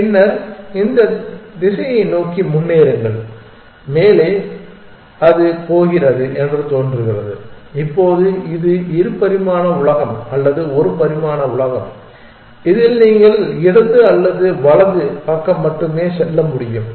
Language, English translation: Tamil, Then, move forward to that direction which seems to be going up, now this is a two dimensional world or a one dimensional world in which you can only move left or right